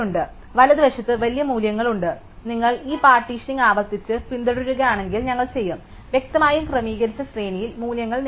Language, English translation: Malayalam, So, there are bigger values to the right and if you recursively follow this partitioning to list out we will; obviously, get the values in sorted order